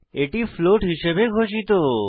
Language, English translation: Bengali, It is declared as float